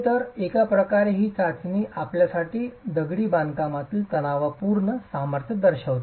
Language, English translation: Marathi, So in a way this test is actually characterizing the tensile strength of the masonry for you